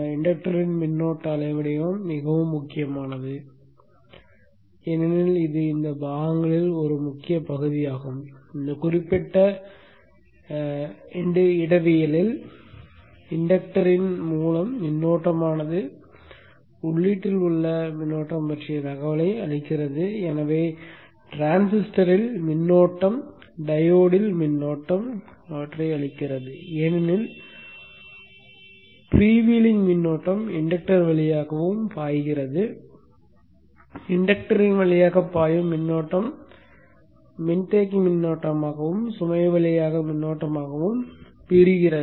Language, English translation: Tamil, The current waveform of the inductor is very critical because this is an important part in this component in this particular topology see that this current through the inductor gives information about the current flowing in the input and therefore the current flow in the transistor the current flowing in the diode because the free vely current also flows through the inductor the current flow into the inductor also divides into the capacitor current through the load as we have discussed earlier the current through the capacitor will have a zero average value in steady state and the current through the output load will be a pure DC